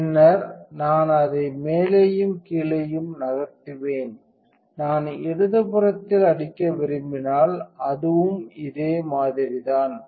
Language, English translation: Tamil, And then I will move it up and down if I want to hit with the left one it is a similar thing